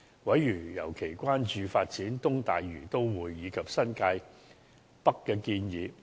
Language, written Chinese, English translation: Cantonese, 委員尤其關注發展"東大嶼都會"及新界北的建議。, Members were particularly concerned about the proposals on the East Lantau Metropolis and the New Territories North area